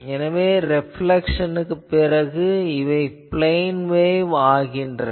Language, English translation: Tamil, So, after reflection to these this becomes a plane wave